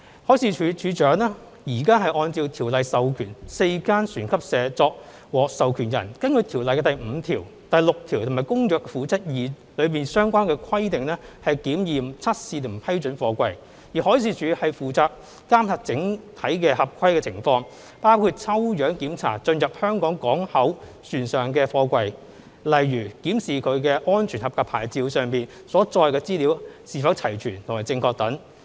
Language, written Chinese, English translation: Cantonese, 海事處處長現時按照《條例》授權4間船級社作獲授權人，根據《條例》第5條、第6條和《公約》《附則 II》中的相關規定檢驗、測試和批准貨櫃；而海事處則負責監察整體合規情況，包括抽樣檢查進入香港港口船上的貨櫃，例如檢視其"安全合格牌照"上所載的資料是否齊全和正確等。, At present the Director of Marine has authorized four recognized organizations under the Ordinance to examine test and approve containers according to the requirements set under sections 5 and 6 of the Ordinance and Annex II to the Convention; while the Marine Department monitors overall compliance situation including conducting spot checks on the containers on board ships entering Hong Kong for example they will examine the completeness and accuracy of the information marked on the SAP